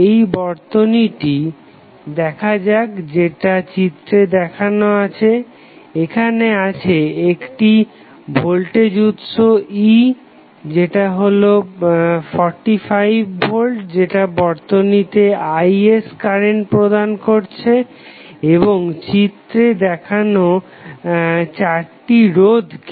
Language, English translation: Bengali, Let us see 1 particular circuit which is shown in this figure, we have a voltage source E that is 45 volt given current as Is to the circuit and the 4 resistance as you will see in the circuit are shown